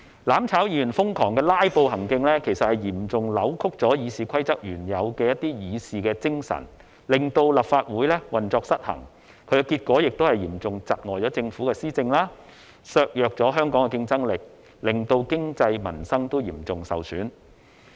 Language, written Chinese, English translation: Cantonese, "攬炒"議員瘋狂"拉布"行徑，其實嚴重扭曲《議事規則》原有的議事精神，令立法會運作失衡，結果嚴重窒礙政府的施政，削弱香港競爭力，令經濟和民生均嚴重受損。, Their lunatic filibuster seriously distorted the original spirit of RoP for handling Council business and disrupted the operation of this Council . It also seriously obstructed the Government from administering its policies weakened the competitiveness of Hong Kong and immensely undermined the economy and peoples livelihood